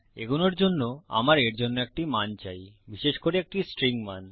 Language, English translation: Bengali, To proceed with, I need a value for this, particularly a string value